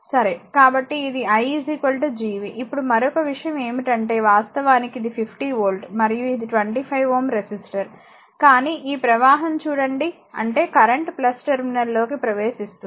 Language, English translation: Telugu, So, it is i is equal to Gv, now another thing is that there actually your what you call this is 50 volt, and this is 25 ohm resistor, but look at that this current actually flowing this means current entering into the plus terminal